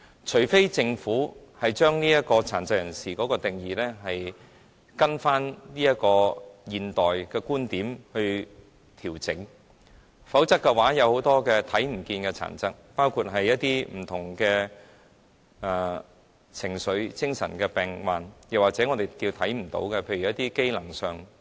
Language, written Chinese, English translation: Cantonese, 除非政府將殘疾人士的定義根據現代的觀點作出調整，否則，很多看不見的殘疾，包括不同的情緒、精神上的病患，或是我們看不見的在機能上的殘疾，也不能得到照顧。, Unless the Government adjusts the definition of people with disabilities in terms of modern viewpoints otherwise many of the invisible disabilities including various forms of emotional or mental diseases or those functional disabilities that are invisible to us will not be taken care of